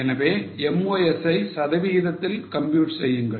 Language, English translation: Tamil, So, compute MOS percentage